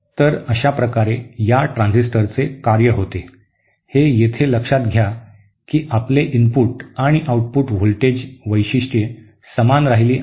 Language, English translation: Marathi, So this is how the working of this transistor happens, here of course note that my input and output voltage characteristics have remained the same